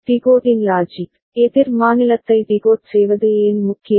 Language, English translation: Tamil, Decoding logic, why decoding a counter state is important